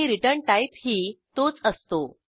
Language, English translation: Marathi, And the return type is also same